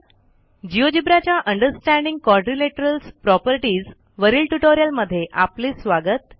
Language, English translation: Marathi, Welcome to this tutorial on Understanding Quadrilaterals Properties in Geogebra